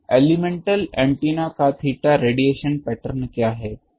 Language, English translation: Hindi, So, what is a theta radiation pattern of elemental antennas